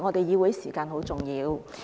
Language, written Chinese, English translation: Cantonese, 議會時間很重要。, The time of the legislature is precious